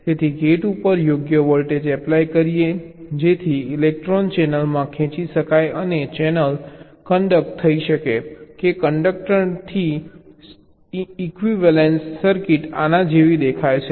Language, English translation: Gujarati, so by applying a suitable voltage on the gates, so electrons can be drawn into the channel and the channel can conduct or not conduct equivalence circuits